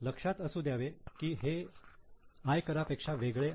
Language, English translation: Marathi, Keep in mind, this is different from the income tax